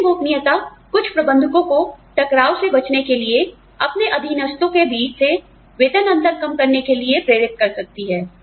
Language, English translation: Hindi, Open pay might induce some managers, to reduce differences and pay, among subordinates, in order to, avoid conflict